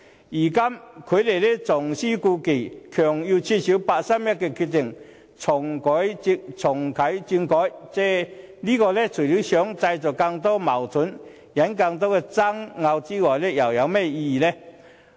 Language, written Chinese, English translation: Cantonese, 如今他們重施故技，強行要求撤銷八三一的決定，重啟政改，這除了會製造更多的矛盾及引起更多的爭拗外，又有甚麼意義？, And now that they play that same old trick again forcing upon the Central Government to invalidate the decision made on 31 August 2014 in reactivating constitutional reform . Apart from stirring up more conflicts and disputes what is the point in doing so?